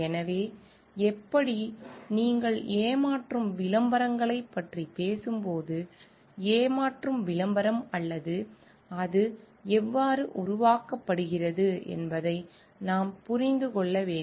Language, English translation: Tamil, So, how when you talk about deceptive advertising, we then need to understand also what we mean by deceptive advertising or how it is created